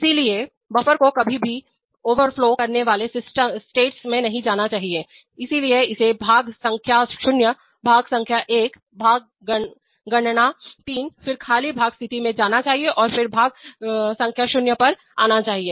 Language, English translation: Hindi, So the buffer should never go to the overflowing States, so it should go to part count 0, part count 1, part count 3, then empty part state and then again come to part count 0